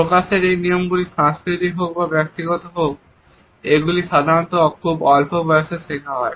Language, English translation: Bengali, These display rules whether they are cultural or personal are usually learnt at a very young age